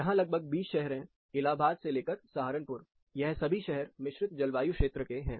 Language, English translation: Hindi, there are about 20 cities starting from, this is Allahabad up to Saharanpur, there are 20 cities located in composite climate